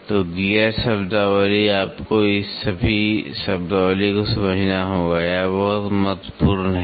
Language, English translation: Hindi, So, the gear terminology you have to understand all this terminology this is very very important